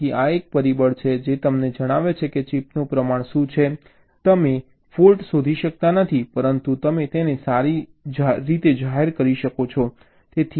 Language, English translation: Gujarati, ok, so this is a factor which tells you that what is the proportion of the chip which you cannot detect a fault but you have declared it as good